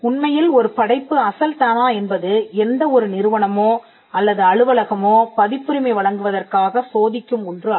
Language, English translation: Tamil, In fact, the originality requirement is not something which a any organisation or office would even test for a copyright for the grant of a copyright